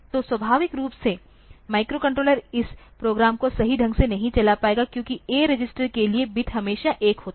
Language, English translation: Hindi, So, naturally that microcontroller will not be able to run this program correctly, because for the A register the bit is always, that particular bit is always 1